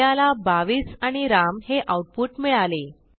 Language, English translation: Marathi, We see the output 22 and Ram